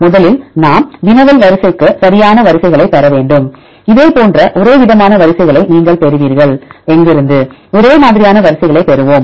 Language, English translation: Tamil, First we have to get the sequences right for the query sequence, you will get this similar homologous sequences where shall we get the homologous sequences